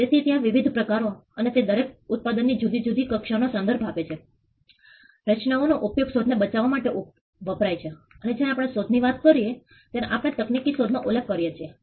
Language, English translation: Gujarati, So, there are different types and each type refers to a different category of products, patterns are used for protecting inventions and when we talk about inventions, we are referring to technological inventions